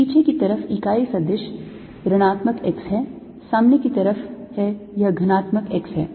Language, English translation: Hindi, the unit vector on the backside is negative x, on the front side its positive x